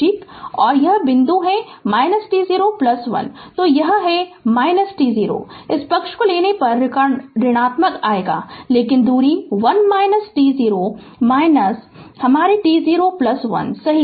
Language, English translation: Hindi, So, it is minus t 0, if you take the this side negative will come, but distance is 1 minus t 0 minus your t 0 plus 1 right